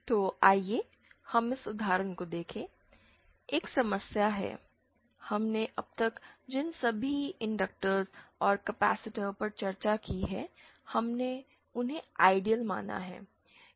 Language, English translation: Hindi, So, let us see this example, so one problem in realising you see all the inductors and capacitors that we have discussed so far, we have considered them to be ideal